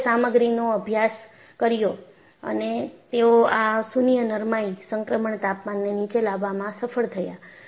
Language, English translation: Gujarati, So, people have studied the material and they have been able to bring down this nil ductility transition temperature